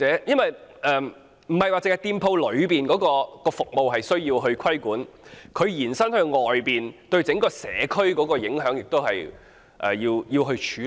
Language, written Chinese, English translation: Cantonese, 不單店鋪的服務需要規管，對整個社區的影響亦要關注、處理。, Not only should shop services be regulated but the impact on the entire community should also be a concern and addressed properly